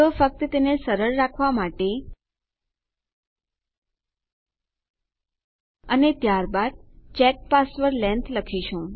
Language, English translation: Gujarati, So, just to keep it simple and then otherwise we will say check password length